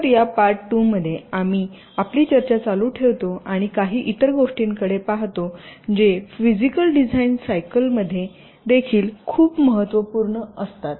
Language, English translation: Marathi, so in this part two we continued discussion and look at some of the other steps which are also very important in the physical design cycle